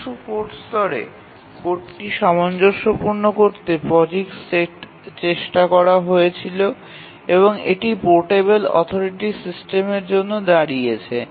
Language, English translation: Bengali, To make the code compatible at the source code level, the POGIX was attempted stands for portable operating system